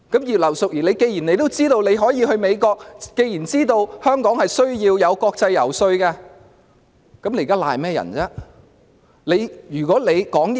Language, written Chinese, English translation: Cantonese, 葉劉淑儀議員既然知道自己要去美國，既然知道香港需要國際遊說，那麼她現在為何仍要諉過於人？, Since Mrs Regina IP knew that we were visiting the United States and she knew that Hong Kong needed to lobby internationally then why should she put the blame on other people now?